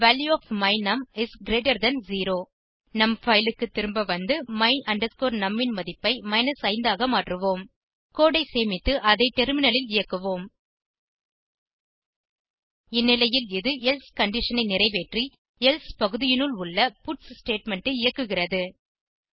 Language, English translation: Tamil, The value of my num is greater than 0 Lets go back to our file and change the value of my num to 5 Lets save the code and execute it on the terminal In this case it fulfills the else condition and the puts statement within the else block gets executed